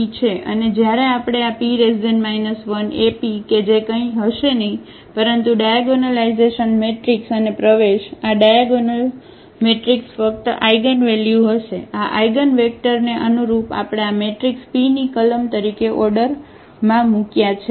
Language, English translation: Gujarati, And when we check this P inverse AP that will be nothing, but the diagonal matrix and entries of these diagonal matrix will be just the eigenvalues, corresponding to these eigenvectors we have placed in the sequence as columns of this matrix P